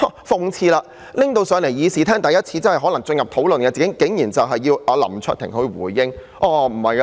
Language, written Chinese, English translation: Cantonese, 諷刺的是，真正在議事廳討論的議案，竟然是要求林卓廷議員回應。, Ironically the motion that is being discussed in the Chamber turns out to one requiring Mr LAM Cheuk - ting to respond